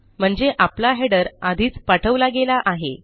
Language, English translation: Marathi, Okay so our headers have already been sent